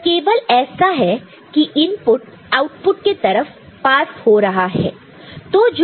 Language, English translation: Hindi, So, it is just input is passing through to the output